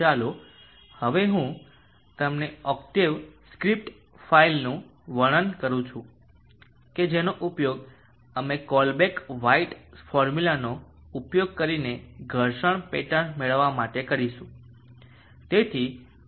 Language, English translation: Gujarati, Let me now describe to you the octave script file that we will use to obtain the friction pattern using the Colebrook white formula